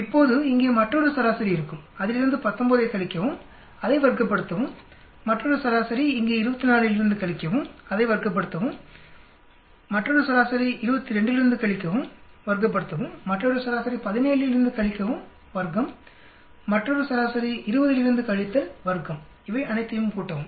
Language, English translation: Tamil, Now there will be another mean here subtract 19 from that, square it, another mean here subtract from 24, square it, another mean subtract from 22, square it, another mean subtract from 17, square it, another mean subtract from 20, square it, add up all of these